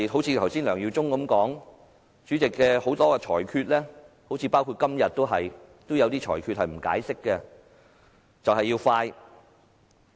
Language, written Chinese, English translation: Cantonese, 正如梁耀忠議員剛才所說，主席作出的很多裁決，包括今天也有些裁決也不作解釋，就是要快。, Is there any hidden agendas behind? . As mentioned just now by Mr LEUNG Yiu - chung many rulings of the President are made without explanation including some rulings today . He cares only about the speed